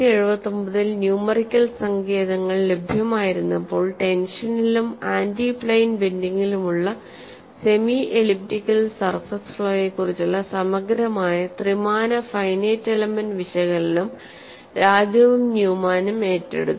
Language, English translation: Malayalam, So, when numerical techniques were available in 1979, Raju and Newman undertook a comprehensive three dimensional finite element analysis of the semi elliptical surface flaw problem for both tension and antiplane bending